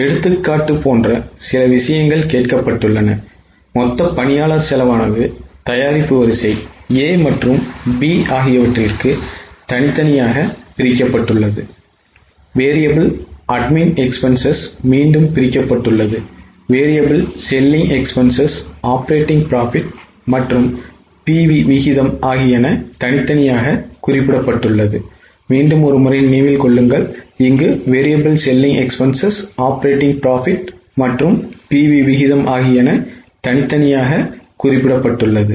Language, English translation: Tamil, A few things have been asked like for example total employee cost broken into product line A and B, variable admin expenses again broken, variable selling expenses, operating profit and PV ratio